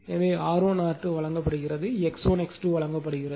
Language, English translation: Tamil, So, R 1 is given R 2 is given, X 1 is given X 2 X 2 is given